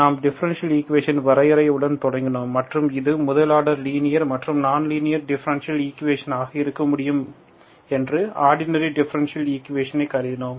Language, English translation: Tamil, We started with the definition of differential equations and we considered first order ordinary differential equations that can be linear or non linear